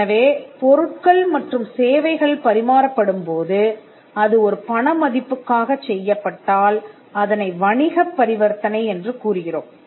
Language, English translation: Tamil, So, if the value pertains to the exchange of goods and service then, we call that a business transaction